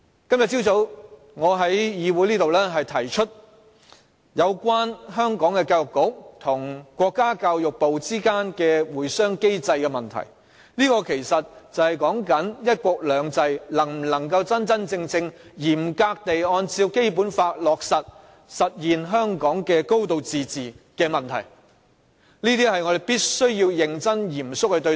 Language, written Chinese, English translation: Cantonese, 今早我在本議會提出有關香港教育局及國家教育部之間的會商機制的問題，這其實涉及"一國兩制"能否真真正正嚴格地按照《基本法》落實以實現香港"高度自治"的問題，這點我們必須要認真及嚴肅對待。, This morning I raised at this Council the issue on the consultation mechanism for the Education Bureau of Hong Kong and the Ministry of Education of the State . This has something to do with whether a high degree of autonomy will genuinely be implemented in Hong Kong in strict accordance with the Basic Law under one country two systems . We must treat this issue seriously and solemnly